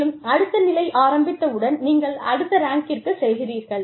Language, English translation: Tamil, And, after the next position opens up, you go up in rank